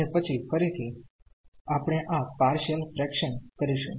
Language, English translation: Gujarati, And, then again we will do this partial fractions there